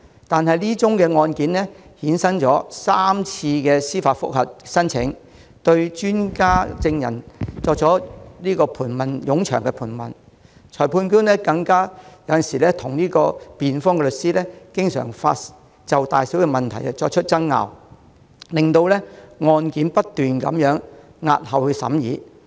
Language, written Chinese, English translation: Cantonese, 但這宗案件衍生過3次司法覆核申請，對專家證人作出冗長盤問，裁判官更與辯方律師就大小問題爭拗，令案件不斷押後審議。, However three applications for judicial review have been derived from this case; the expert witnesses have been cross - examined at length; and the Magistrate has argued with the defence lawyers about various issues . As a result the trial of the case has to be deferred time and again